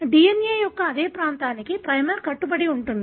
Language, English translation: Telugu, For the same region of the DNA, the primer is bound